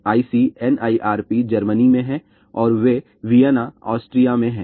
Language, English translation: Hindi, ICNIRP is in Germany and they are in Vienna, Austria